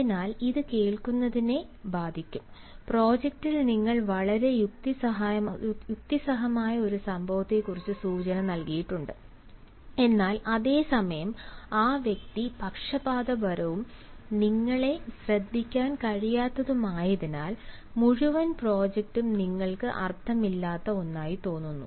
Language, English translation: Malayalam, so it will affect to listening, maybe that in the project you have hinted at something which can be very rational event, but at the same time, because the person is biased and not able to listen to you, the entire project appears to you nothing but meaningless